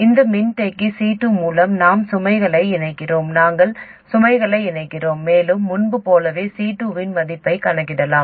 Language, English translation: Tamil, Through this capacitor C2 we couple the load, AC couple the load, and as before we can calculate the value of C2